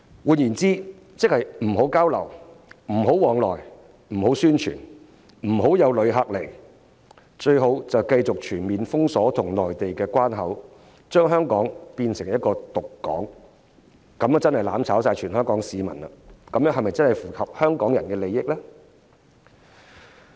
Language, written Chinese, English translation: Cantonese, 換言之，即是不要交流、不要往來、不要宣傳、不要旅客來港，最好就是繼續全面封鎖與內地的關口，將香港變成"獨港"，這樣真是"攬炒"了全香港市民，這真的是符合香港人的利益嗎？, In other words they do not want any exchanges travels promotions and inbound visitors in connection with the Mainland . They seek to completely close the border with the Mainland and isolate Hong Kong in order to truly mutually destroy all Hong Kong people . Is this really in the interests of Hong Kong people?